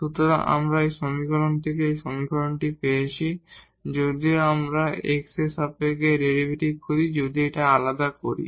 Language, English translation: Bengali, So, we have won this equation out of this equation if we get the derivative with respect to x, if we differentiate this one